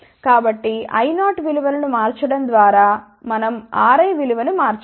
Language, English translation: Telugu, So, by changing the value of I 0 we can change the value of R i